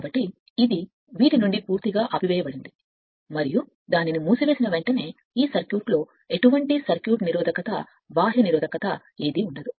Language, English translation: Telugu, So, this is totally off from these and as soon as you close it that will give you the what you call that no circuit resistance, no external, no external resistance in this in this circuit as soon as you close it